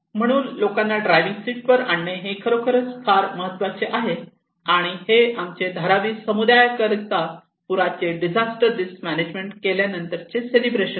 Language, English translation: Marathi, So bringing the people into the driving seat is really important this is the celebrations of our after finishing this and Dharavi community led action plan for flood disaster risk management